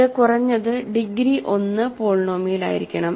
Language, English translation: Malayalam, So, it must be at least degree 1 polynomial